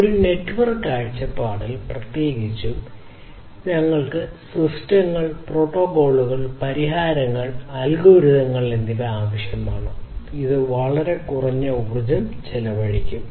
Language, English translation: Malayalam, So, from a network point of view specifically we need systems, we need protocols, we need solutions, we need algorithms, which will be consuming extremely low energy